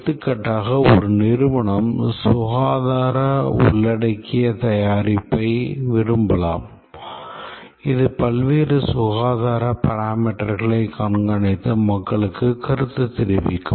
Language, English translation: Tamil, For example, a company might like to develop a health embedded product which will monitor various health parameters and give feedback to people